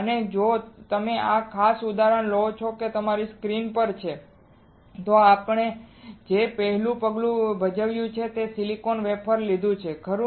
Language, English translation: Gujarati, So, if you take this particular example which is on your screen the first step that we performed is we took a silicon wafer right